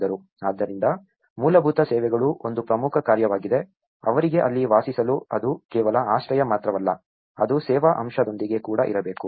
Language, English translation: Kannada, So, basic services is an important task, how in order to just live there for them it is not just only a shelter, it also has to be with service aspect